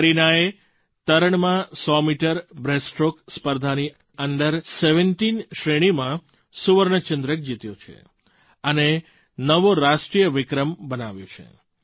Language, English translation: Gujarati, Kareena competed in the 100 metre breaststroke event in swimming, won the gold medal in the Under17 category and also set a new national record